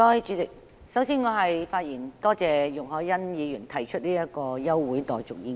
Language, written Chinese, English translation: Cantonese, 主席，首先，我要發言感謝容海恩議員提出這項休會待續議案。, President first of all I would like to thank Ms YUNG Hoi - yan for moving this adjournment motion